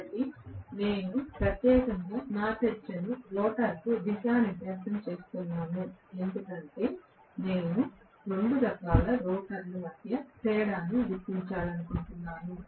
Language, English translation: Telugu, So, I am specifically orienting my discussion to rotor because I want to differentiate between the 2 types of rotor